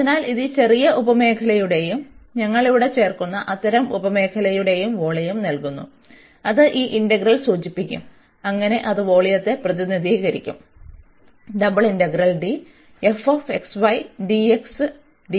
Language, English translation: Malayalam, So, this gives the volume of this smaller sub region and such sub regions we are adding here and that will be denoted by this integral, so that will represent the volume